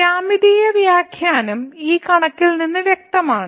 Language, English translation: Malayalam, The geometrical interpretation is as clear from this figure